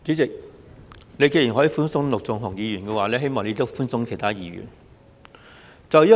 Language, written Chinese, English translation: Cantonese, 主席，你既然可以對陸頌雄議員寬鬆，希望你也對其他議員寬鬆。, President since you can be lenient to Mr LUK Chung - hung I hope you will also treat other Members leniently